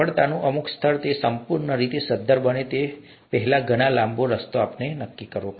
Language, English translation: Gujarati, Some level of success, it's a long way before it becomes completely viable and so on